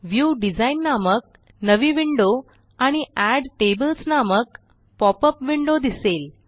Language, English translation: Marathi, We see a new window called the View Design and a popup window that says Add tables